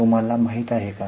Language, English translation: Marathi, Do you know what it is